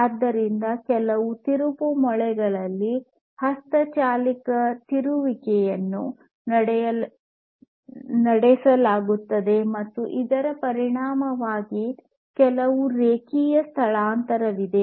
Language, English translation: Kannada, So, manual rotation is performed on some screws or whatever and consequently there is some linear displacement